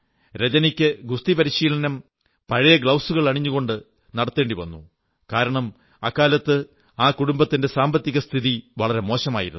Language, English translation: Malayalam, Rajani had to start her training in boxing with old gloves, since those days, the family was not too well, financially